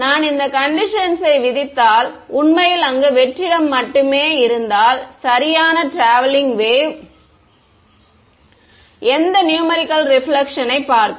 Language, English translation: Tamil, If I impose this condition and there is actually only vacuum over there, then right traveling wave will it see any numerical reflection